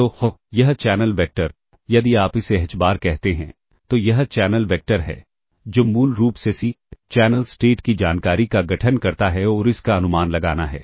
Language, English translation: Hindi, So this channel vector if you call this as h bar this is this channel vector ah which basically constitutes the CSI [noise] the channel state information and that has to be estimated